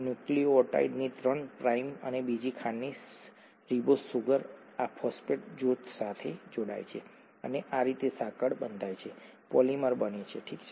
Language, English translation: Gujarati, The three prime and of another sugar, ribose sugar of a nucleotide, gets attached with this phosphate group and that’s how the chain gets built up, the polymer gets built up, okay